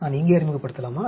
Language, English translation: Tamil, Do I introduce here